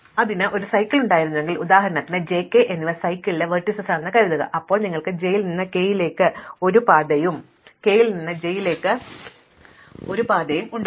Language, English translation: Malayalam, Because, if it had a cycle then for instance supposing j and k are vertices on the cycle, then you will have a path from j to k and a path from k to j